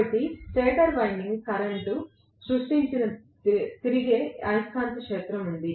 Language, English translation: Telugu, So, there is a revolving magnetic field created by the stator winding current